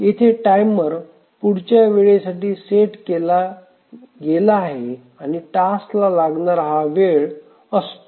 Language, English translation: Marathi, So, here the timer is set for the next time and that is the time that the task takes